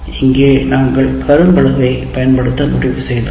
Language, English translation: Tamil, And here we have decided to use the blackboard